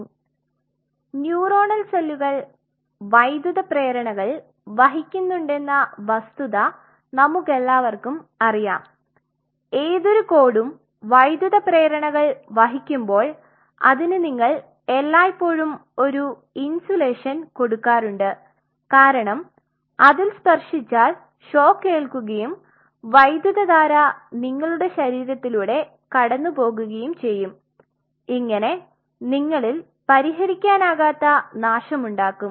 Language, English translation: Malayalam, So, we are aware of the fact that neuronal cells are carrying electrical impulses right, now when they are carrying electrical impulses just like any other cord which is carrying electrical or anywhere you always put an insulation across it why because otherwise if you touch a necked where you will get shock and get short because the current will start passing through your body and god forbids it may cause irreparable damage